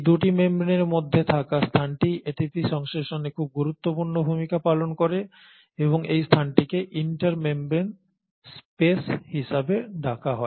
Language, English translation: Bengali, And the space which is present between these 2 membranes play a very important role in ATP synthesis and this space is called as the inter membrane space